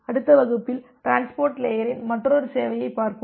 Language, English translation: Tamil, In the next class we will look into another service in the transport layer